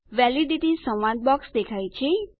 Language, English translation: Gujarati, The Validity dialog box appears